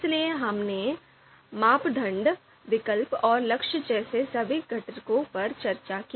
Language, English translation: Hindi, So we discussed all the components, criteria, alternatives, goals